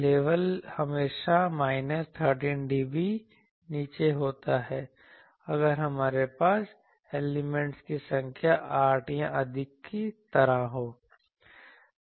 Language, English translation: Hindi, Level is always minus 13 dB down, if we have number of elements something like 8 or more